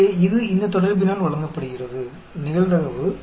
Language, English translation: Tamil, So, it is given by this relationship, the probability